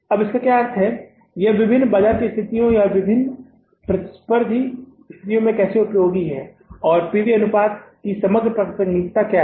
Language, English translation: Hindi, How it is useful in the different market situations or different competitive situations and what is the overall relevance of this PV ratio